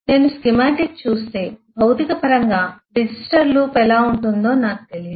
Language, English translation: Telugu, If I look at the schematic I do not know really how does the register loop in physical terms